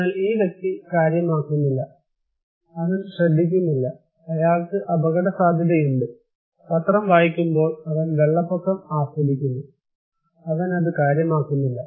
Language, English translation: Malayalam, But this person does not care, he is not listening, he is at risk, he is enjoying the flood while reading newspaper, he does not care